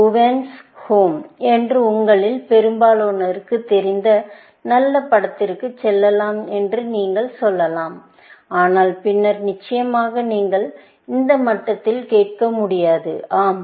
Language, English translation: Tamil, Let us say, you offer to Bhuvan’s Home, which is a very nice movie, as most of you might know, but and then, of course you cannot ask at this level, yes